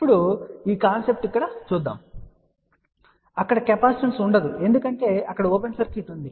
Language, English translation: Telugu, Now this capacitance is shown over here, but that capacitance won't be there because there is an open circuit